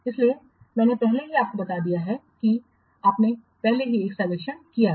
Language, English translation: Hindi, So I have already already conducted a survey